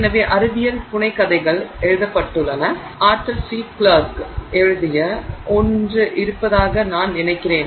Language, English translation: Tamil, So, science fiction stories have been written, I think there is one by Arthur C